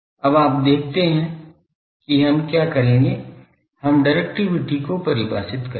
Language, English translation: Hindi, Now, you see what we will do, we will define directivity